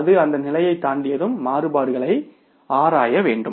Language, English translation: Tamil, Once it crosses that level we will have to investigate the variances